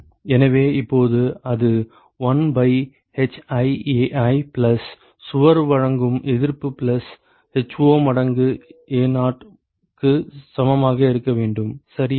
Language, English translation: Tamil, So, now so, that should be equal to 1 by hiAi plus the resistance offered by the wall plus 1 by ho times Ao ok